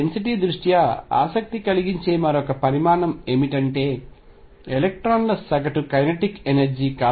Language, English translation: Telugu, Given that density another quantity which is of interest is the average kinetic energy of electrons